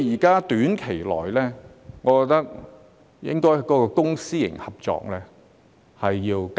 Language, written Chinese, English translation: Cantonese, 在短期內，我認為應該加大公私營合作的空間。, In the near future I consider that more room should be created for public - private partnership